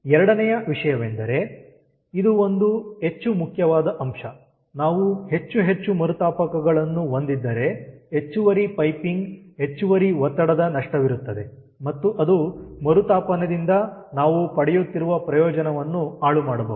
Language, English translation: Kannada, this is this is one important point that if we have more and more reheater then there are extra piping, extra pressure loss, and that may not, that may eat away the benefit which we are getting from reheat